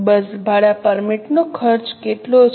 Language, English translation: Gujarati, How much is a bus rent permit cost